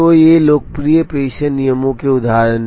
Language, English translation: Hindi, So, these are examples of popularly used dispatching rules